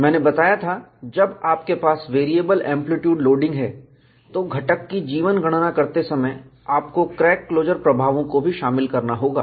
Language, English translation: Hindi, I had mentioned, when we have variable amplitude loading, you will have to incorporate crack closure effects, while calculating the life of the component